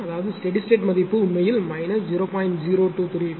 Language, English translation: Tamil, So; that means, steady state value will come actually minus 0